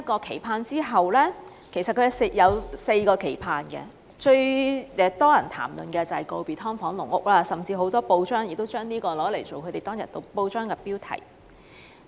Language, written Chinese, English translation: Cantonese, 其實，他共有4個期盼，當中最多人談論的，便是告別"劏房"和"籠屋"，甚至當天有不少報章亦以此為頭條標題。, In fact he has four expectations all told with the most talked about being saying goodbye to subdivided units and caged homes which even grabbed the headlines on that day